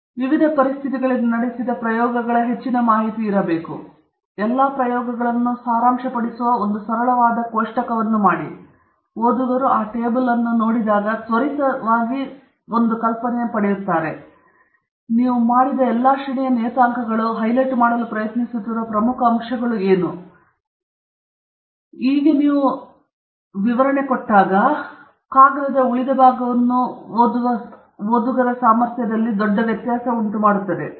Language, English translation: Kannada, You have a large body of information of experiments conducted in various conditions, but if you make a very nice simple table which summarizes all of those experiments, so that when a reader just looks at that table, at a quick glance they get an idea of all the range of parameters that you have done, and what are the important points that you are trying to highlight, then that makes a big difference in the reader’s ability to read the rest of your paper